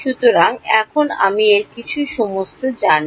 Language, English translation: Bengali, So, now I know everything inside this